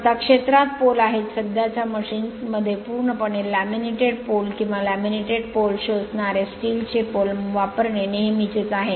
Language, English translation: Marathi, Now next is field poles, in present day machines it is usual to use either a completely laminated pole, or solid steel poles with laminated polls shoe right